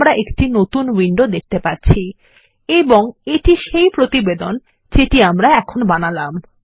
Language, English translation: Bengali, Now we see a new window and this is the Report that we built just now